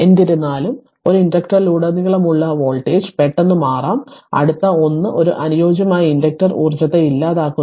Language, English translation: Malayalam, However the voltage across an inductor can change abruptly, next 1 is an ideal inductor does not dissipate energy right